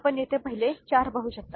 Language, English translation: Marathi, You can see over here the first four